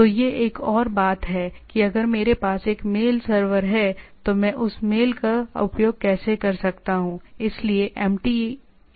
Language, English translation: Hindi, So, that is another thing, that if I have a mail server so, how I can access that mail